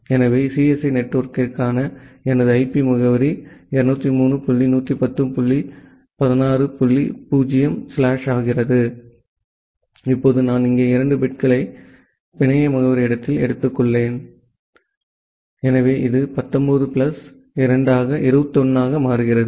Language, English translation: Tamil, So, my IP address for the CSE network becomes 203 dot 110 dot 16 dot 0 slash, now I have taken two bits here at the network address space, so this becomes 19 plus 2 that is 21